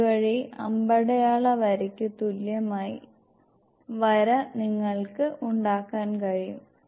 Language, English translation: Malayalam, So that you can make the line equivalent to the arrow headed line, please do